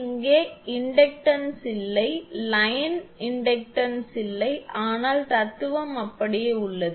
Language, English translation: Tamil, Here inductance is not there, line inductance is not there, but philosophy remains same